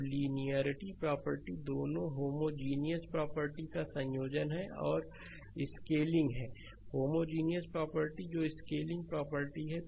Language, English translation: Hindi, So, the linearity property the combination of both the homogeneity property that is your scaling, the homogeneity property that is the scaling and the additivity property right